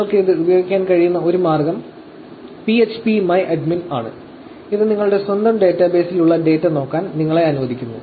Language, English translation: Malayalam, So, one of the ways you could use this actually phpMyAdmin, which actually allows you to look at the data that you have in your own database